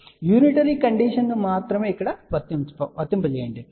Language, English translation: Telugu, So, let just apply only unitary condition